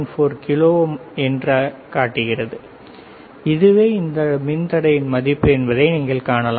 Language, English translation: Tamil, 14 kilo ohm is the value of this resistor, right